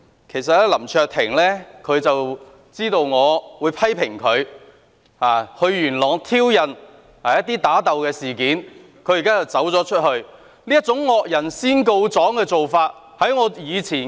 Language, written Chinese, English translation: Cantonese, 其實林卓廷議員知道我會對他到元朗挑釁人打鬥的事件作出批評，現在卻離開會議廳。, Mr LAM Cheuk - ting actually knows I will comment on the incident of his visit to Yuen Long to provoke people into fighting but now he has left the Chamber